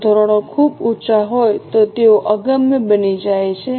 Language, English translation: Gujarati, If the standards are too high, they become unachievable